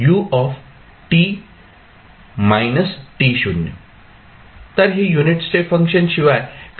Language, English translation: Marathi, So, this is nothing but a unit step function